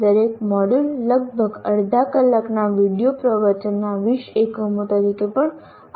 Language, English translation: Gujarati, Each module is also offered as 20 units of about half hour video lectures